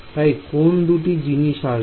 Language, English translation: Bengali, So, what are the two things that will come